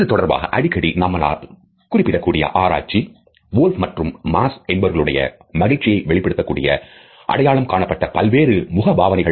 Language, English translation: Tamil, The research which is often cited in this context is by Wolf and Mass which is identified various facial expressions which convey a happy face